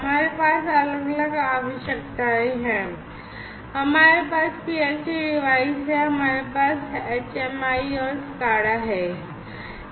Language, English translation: Hindi, So, we have different requirements, we have the PLC devices, we have HMI, the HMI devices and SCADA